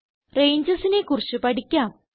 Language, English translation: Malayalam, Lets learn about Ranges